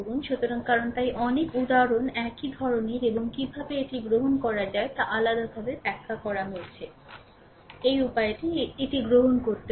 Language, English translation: Bengali, So, ah because so, many examples similar type and different how to take it have been explained so, this way you can take it